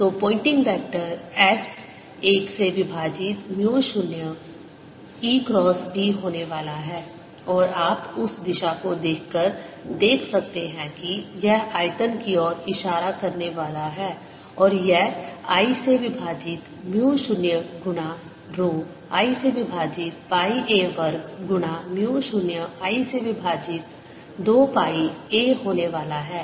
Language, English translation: Hindi, so the pointing vector s is going to be one over mu zero, e cross b and you can see by looking at the direction that it is going to be pointing into the volume and its value is going to be one over mu zero times rho i over pi a square times mu zero i over two pi a